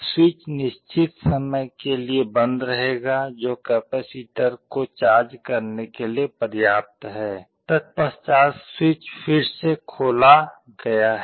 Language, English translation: Hindi, The switch will remain closed for certain time, enough for the capacitor to get charged, then the switch is again opened